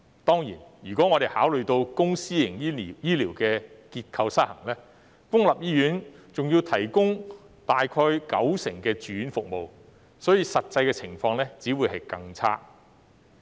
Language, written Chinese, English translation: Cantonese, 當然，考慮到公私營醫療結構失衡，公立醫院還要提供約九成的住院服務，所以實際情況只會更差。, Certainly in view of the structural imbalance between public and private healthcare not to mention that public hospitals had to provide about 90 % of the inpatient services the actual situation was only worse